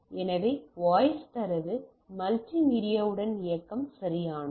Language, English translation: Tamil, So, voice data multimedia along with mobility right